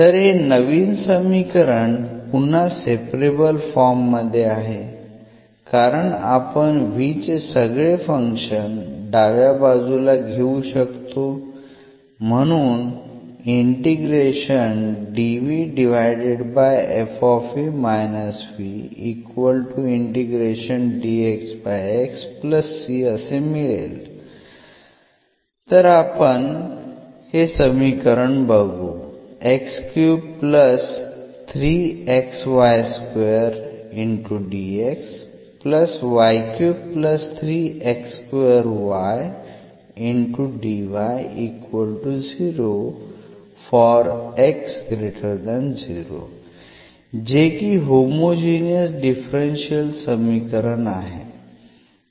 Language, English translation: Marathi, So, this is new equation which is again in separable form because this v we can take to the right hand side, so we have f v minus v